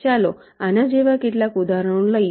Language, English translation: Gujarati, lets take some examples like this